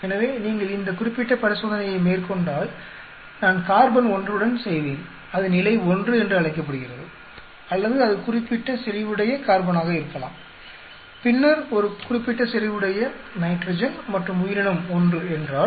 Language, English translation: Tamil, So, if you take this particular experiment, I will be doing with the carbon 1, it is called level one or it could be a carbon with that particular concentration, then nitrogen at a particular concentration and if the organism 1